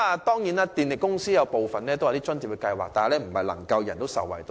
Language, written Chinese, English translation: Cantonese, 當然，電力公司也設有津貼計劃，但並非人人受惠。, Of course the power companies do have subsidy schemes but not all clients will benefit